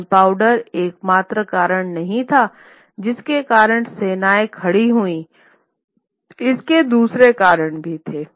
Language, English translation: Hindi, Gunpowder was not the only reason why standing armies come into B